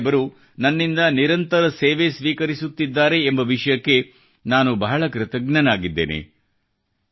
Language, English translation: Kannada, I feel very grateful that Guru Sahib has granted me the opportunity to serve regularly